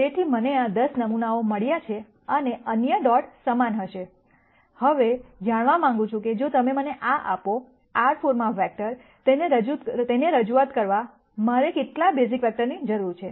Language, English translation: Gujarati, So, I have got these 10 samples and the other dots will be similar, now what I want to know is if you give me these, vectors in R 4, how many basis vectors do I need to represent them